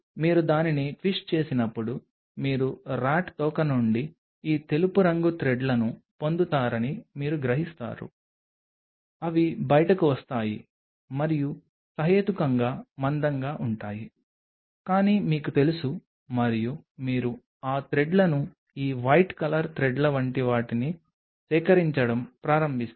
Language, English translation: Telugu, As you will twist it you will realize from the RAT tail you will get this white color threads, which will be coming out and that reasonably thick, but you know and you start collecting those threads something like this white color threads